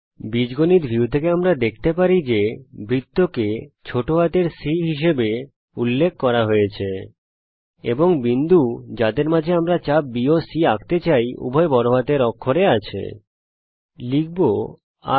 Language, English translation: Bengali, From the algebra view we can see that the circle is referred to as lower case c, and the points between which we want to draw the arc (B,C) both in upper case